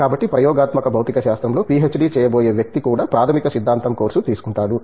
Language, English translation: Telugu, So, the person going to do a PhD in experimental physics will also be taking the fundamental theory course